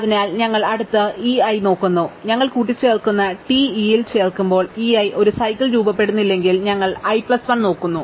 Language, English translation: Malayalam, So, we look at the next e i, if e i does not form a cycle when added to TE we append, then we look at i plus 1